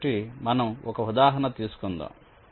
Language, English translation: Telugu, ok, so lets take an example